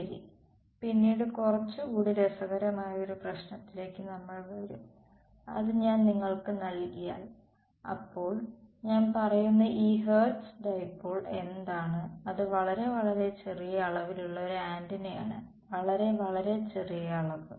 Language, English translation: Malayalam, Well, later on we will come to a little more interesting problem that if I give you; so, what is this Hertz dipole that I am talking about, it is an antenna of very very small dimension; very very tiny dimension